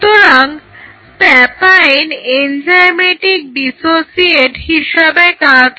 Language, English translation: Bengali, So, the papain act as an enzymatic dissociate